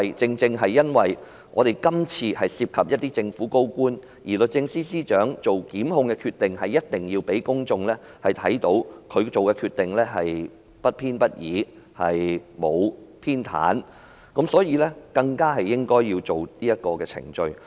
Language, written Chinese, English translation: Cantonese, 正是因為今次涉及政府高官，律政司司長才需要要讓公眾看到她所作的檢控決定不偏不倚，沒有偏袒，所以她更應該跟隨這程序。, It is exactly because a senior government official is involved that the Secretary for Justice should let the public see that the prosecution instituted by her is impartial and unbiased and she should adhere to this protocol